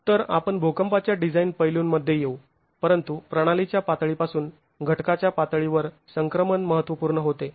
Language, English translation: Marathi, So, we will get into seismic design aspects, but the transition from the system level to the component level becomes important